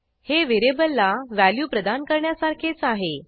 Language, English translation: Marathi, It is like assigning a value to a variable